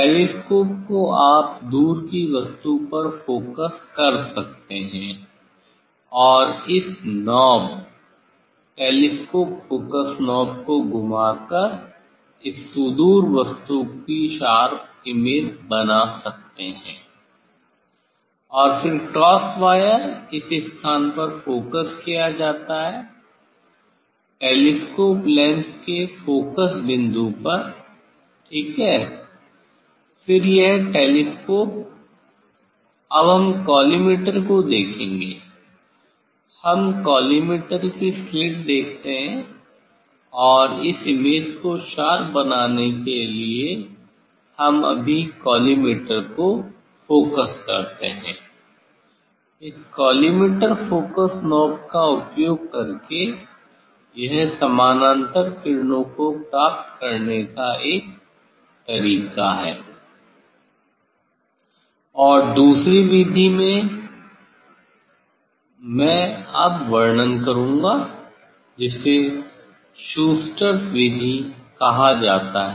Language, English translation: Hindi, telescope one can focus at a distant object and rotate this knob telescope focus knob to make this distant object sharp image of the distant object sharp, And then cross wire is focused at the is placed at the focal point of this telescope lens, ok, then this telescope then we will see the collimator we see the collimator slit, collimator slit and to make this image sharp we just focus, we just focus this collimator using the focusing knob of the collimator, this is one way to get the parallel rays, And second method I will describe now that is called Schuster s method